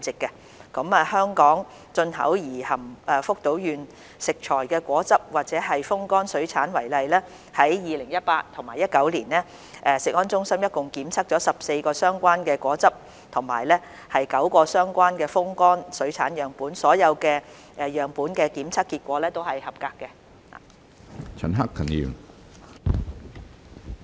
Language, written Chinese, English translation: Cantonese, 以香港進口而含福島縣食材的果汁或風乾水產為例，在 2018-2019 年度，食安中心共監測了14個相關果汁和9個相關風乾水產樣本，所有樣本的檢測結果都是合格。, Let us take the example of the imported fruit juice or dried aquatic products containing food materials from Fukushima . During the year 2018 - 2019 CFS tested a total of 14 juice and 9 dried aquatic product samples concerned and all the samples have passed the tests